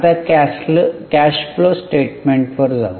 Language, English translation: Marathi, Now, let us go to cash flow statement